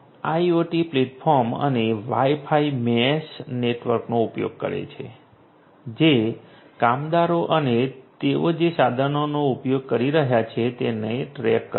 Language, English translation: Gujarati, It uses the IoT platform and the Wi Fi mesh network that tracks the workers and the equipments that they are using